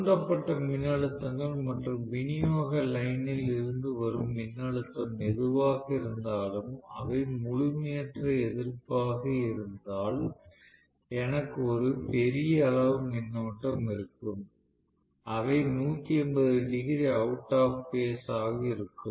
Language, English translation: Tamil, Whether the voltages that were induced and whatever is the voltage that is coming from the supply line, if they are incomplete opposition, I will have a huge amount of current, they can 180 degrees out of phase, very much why not right